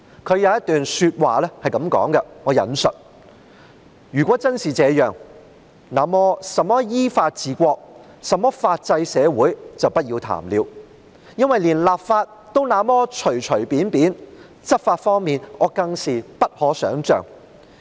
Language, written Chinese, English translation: Cantonese, 他的一段話是這樣的︰"如果真是這樣，那麼甚麼依法治國、甚麼法制社會就不要談了，因為連立法也那麼隨隨便便，執法方面，我更是不可想像。, He made the following comments I quote If a law is really enacted to this end forget about ruling the country according to the law and forget about a rule - of - law society because when laws can be enacted so casually their enforcement would be all the more unimaginable